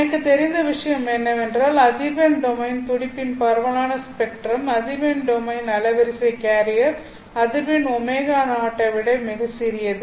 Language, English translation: Tamil, What I know is that the spread of the spectrum, that is the spread of the pulse in frequency domain, the frequency domain bandwidth as if you would say, is much, much smaller than the carrier frequency omega 0